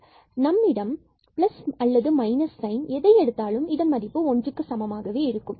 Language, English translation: Tamil, So, does not matter if we take plus sign there or minus sign the value will be the same